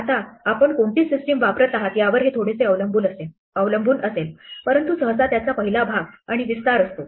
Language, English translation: Marathi, Now, this will depend a little bit on what system you are using, but usually it has a first part and an extension